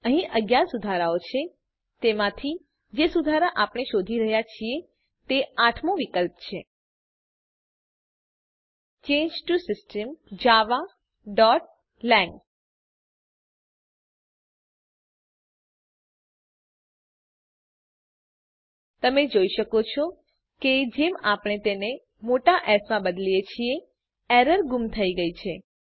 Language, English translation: Gujarati, there are 11 fixes out of these, fix that we are looking for is the eighth option Change to System (java.lang) You can see that once we change it to capital S the error is missing